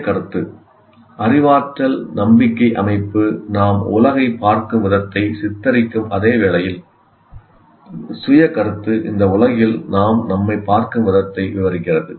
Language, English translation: Tamil, While the cognitive belief system portrays the way we see the world, this self concept describes the way we see ourselves in that world